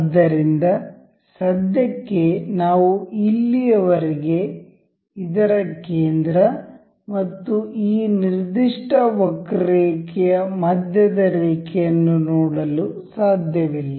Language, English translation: Kannada, So, for now, we cannot see the center of this so far and the center line of this particular curve